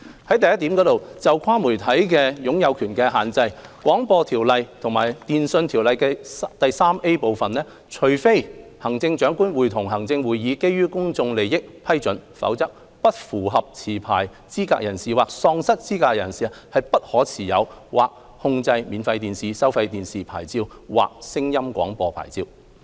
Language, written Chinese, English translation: Cantonese, 第一，就"跨媒體擁有權的限制"，《廣播條例》及《電訊條例》第 3A 部規定，除非行政長官會同行政會議基於公眾利益批准，否則"不符合持牌資格人士"或"喪失資格的人"不可持有或控制免費電視、收費電視牌照或聲音廣播牌照。, Firstly regarding cross - media ownership restrictions under the Broadcasting Ordinance BO and Part 3A of the Telecommunications Ordinance TO disqualified persons DPs may not hold or exercise control of a free TV or pay TV licence or a sound broadcasting licence unless the Chief Executive in Council in the public interest so approves